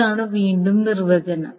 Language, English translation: Malayalam, Now this is the first definition